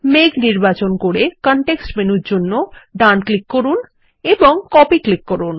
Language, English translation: Bengali, Select the cloud, right click for the context menu and click Copy